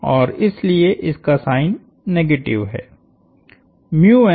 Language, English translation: Hindi, And therefore the negative sign